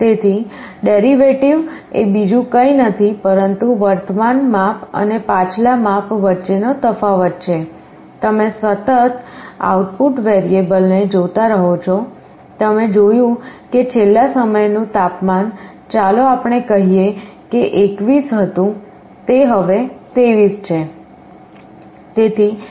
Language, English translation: Gujarati, So, derivative is nothing but a measure of the difference between the current measure and the previous measure, you continuously sense the output variable, you saw that last time the temperature was let us say 21 now it is 23